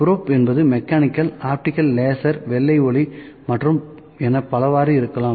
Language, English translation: Tamil, So, probes may be mechanical, optical, laser, white light and many such